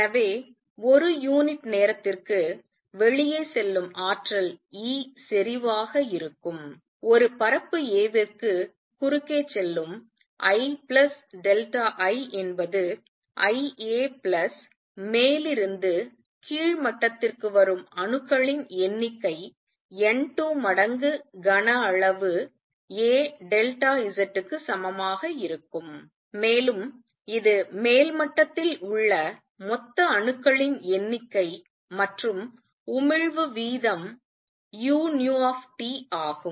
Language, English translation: Tamil, So, per unit time energy going out is going to be E intensity I plus delta I going across the area a is going to be equal to I a plus the number of atoms which are coming from upper to lower level is going to be N 2 times the volume a delta Z; that is a total number of atoms that are in the upper level and the rate of emission is u nu T